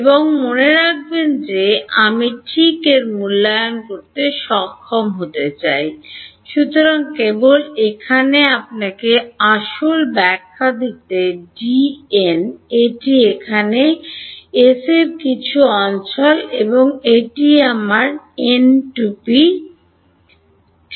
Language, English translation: Bengali, And remember I want to in that be able to evaluate D dot n hat ok, so just to give you the physical interpretation over here, this is some region over here S and this is my n hat right